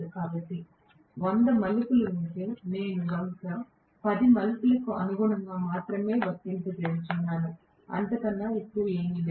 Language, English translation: Telugu, So, I am applying if there are hundred turns, I am probably applying only corresponding to 10 turns, nothing more than that